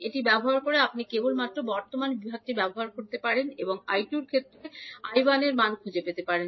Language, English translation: Bengali, So using this you can simply use the current division and find out the value of I 1 in terms of I 2